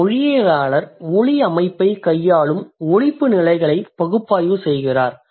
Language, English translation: Tamil, A linguist analyzes phonological levels which deal with the sound system